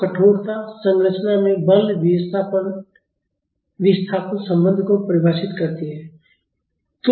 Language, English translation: Hindi, So, stiffness defines the force displacement relation in a structure